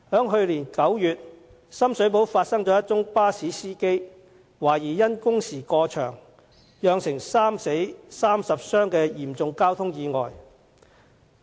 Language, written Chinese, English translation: Cantonese, 去年9月，深水埗發生一宗巴士司機懷疑因工時過長，以致釀成3死30傷的嚴重交通意外。, In September last year a traffic accident that occurred in Sham Shui Po involving a bus driver who was suspected of working exceedingly long hours resulted in three deaths and 30 injuries